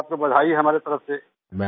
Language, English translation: Hindi, Our congratulations to you on that